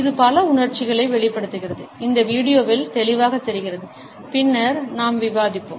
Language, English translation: Tamil, It expresses multiple emotions, as is evident in this video and as we would discuss later on